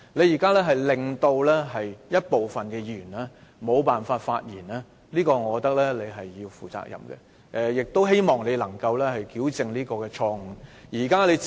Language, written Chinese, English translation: Cantonese, 現在一部分議員因你的決定而無法發言，我覺得你要為此負上責任，亦希望你能夠糾正錯誤。, Now your decision has rendered certain Members unable to speak . I consider that you should be held accountable for this . I also hope you will right your wrong